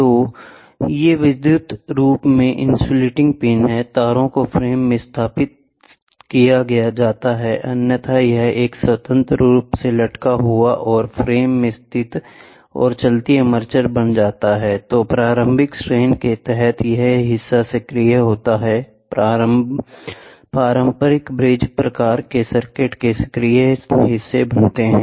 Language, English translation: Hindi, So, these are electrically insulating pins, the wires are located to the frame otherwise this becomes a freely hanging, right and located to the frame and the moving armature; which are mounted under the initial tension forms the active legs of the conventional bridge type circuit